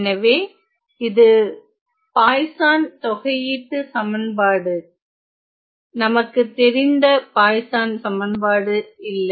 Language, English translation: Tamil, So, these this is a Poisson integral equation not the regular Poisson equation that we are aware of